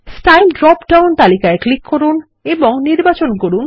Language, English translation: Bengali, Click on the Style drop down list and select 2 dots 1 dash